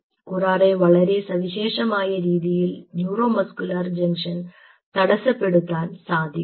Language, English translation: Malayalam, curare can block the neuromuscular junction in a very unique way